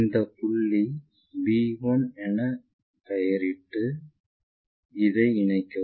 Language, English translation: Tamil, Call this point our b1 and join this one